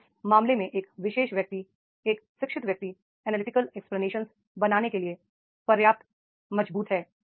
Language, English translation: Hindi, So, therefore in that case, a particular person, an educated person, he is strong enough to make the analytical explanations